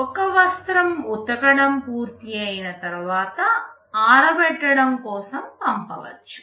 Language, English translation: Telugu, After it is finished with washing, this cloth can go for drying